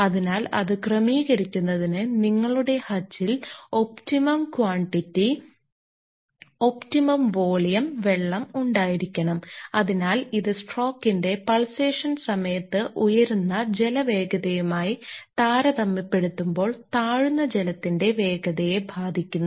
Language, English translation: Malayalam, So, to adjust that, you need to have an optimum quantity optimum volume of water into your hutch and hence it effects the falling water velocity relative to the rising water velocity during the pulsation part of the stroke